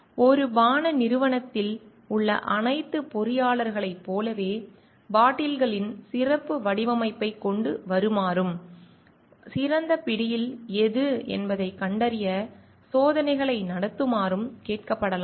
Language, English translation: Tamil, Like all engineers of a like beverage company might be asked to come up with the special design of bottles and conduct experiments to find out like which is the one for the best grip